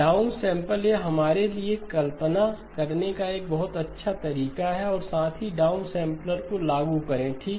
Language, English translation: Hindi, Down sample, this would be a very good way for us to visualize and also implement the down sampler okay